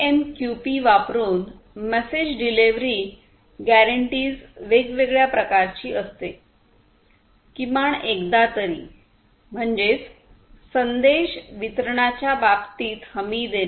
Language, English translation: Marathi, The message delivery guarantees are of different types using AMQP: one is at least once; that means, offering guarantees in terms of message delivery